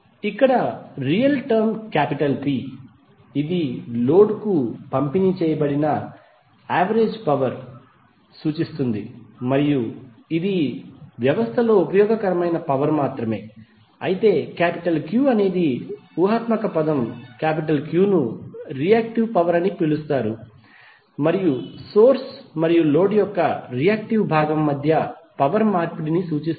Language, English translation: Telugu, So here the real term is P which represents the average power delivered to the load and is only the useful power in the system while the imaginary term Q is known as reactive power and represents the energy exchange between source and the reactive part of the load